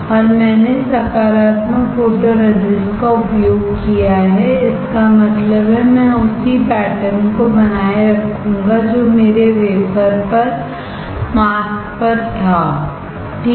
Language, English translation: Hindi, And I have used positive photoresist; that means, I will retain the similar pattern that I had on the mask on the wafer correct